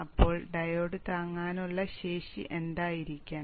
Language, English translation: Malayalam, So what should be the diode with standing capability